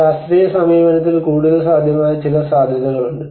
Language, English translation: Malayalam, There are some possibilities which were more possible in the scientific approach